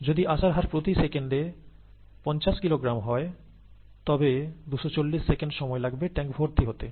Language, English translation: Bengali, If the input rate is fifty kilogram per second, the input, the time would be 240 seconds to fill he tank, or four minutes, okay